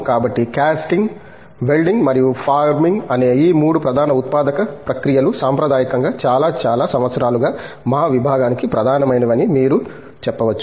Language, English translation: Telugu, So, if you can say the 3 major manufacturing processes which are Casting, Welding and Forming have been the core of our department traditionally for many, many years